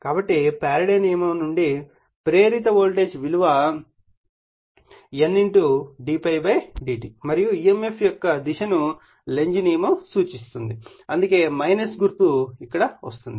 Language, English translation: Telugu, So, from the Faradays law the voltage induced thing is N d∅/dt and Lenz d I or what you call Lenz’s law will give you the your direction of the emf so, that is why minus sign is here